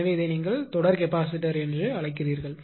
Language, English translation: Tamil, So, this is what ah your what you call that your series capacitor